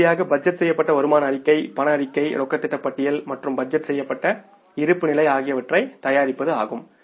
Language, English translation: Tamil, Finally means preparing the budgeted income statement cash statement cash budget and the budgeted balance sheet this way the total budget can be prepared